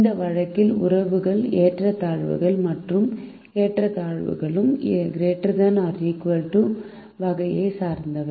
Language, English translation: Tamil, in this case the relationships are inequalities and both the inequalities are of the less than or equal to time